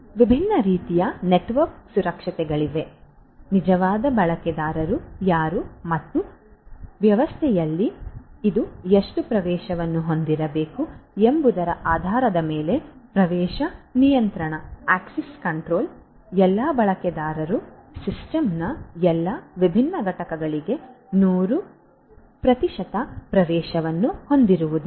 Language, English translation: Kannada, There are different types of network security you know access control based on who the actual users are and how much access this should have in the system, not that all users are going to have 100 percent access to all the different components of the system